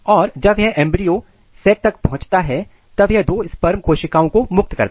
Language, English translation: Hindi, And once it reach to the embryo sac it releases two of the sperm cells